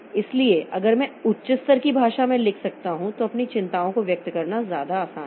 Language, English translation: Hindi, So, if I can write at high level language then expressing my concerns are much easier